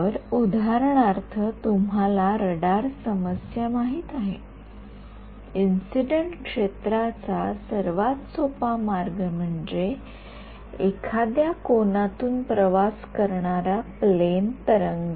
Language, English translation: Marathi, So, you know radar problem for example, the simplest way of incident field is a plane wave travelling at some angle